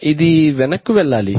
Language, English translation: Telugu, Does it go back